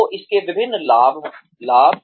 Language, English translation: Hindi, So, various benefits